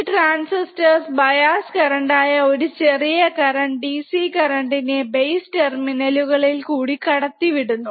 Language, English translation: Malayalam, And this transistors conduct, the current a small DC current which are the base currents or through the base terminals of the transistors